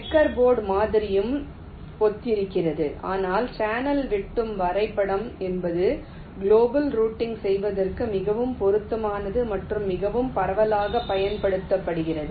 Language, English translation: Tamil, checker board model is also similar, but channel intersection graph is something which is the most suitable for global routing and is most wide used